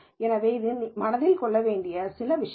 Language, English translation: Tamil, So, this is, these are some things to keep in mind